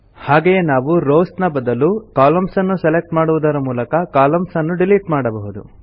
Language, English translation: Kannada, Similarly we can delete columns by selecting columns instead of rows